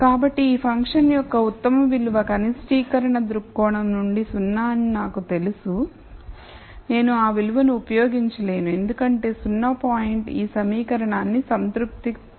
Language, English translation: Telugu, So, though I know the very best value for this function is 0 from a minimization viewpoint, I cannot use that value because the 0 0 point might not satisfy this equation